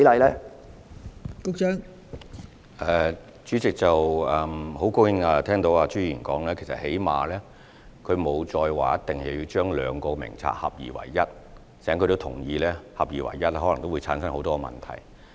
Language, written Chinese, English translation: Cantonese, 代理主席，很高興聽到朱議員再沒有要求將兩個名冊合二為一，他亦同意合二為一可能會產生很多問題。, Deputy President I am very glad to hear that Mr CHU no longer requests to combine the two registers and he also agrees that combining the two registers might give rise to many problems